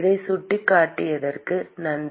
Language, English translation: Tamil, Thanks for pointing that out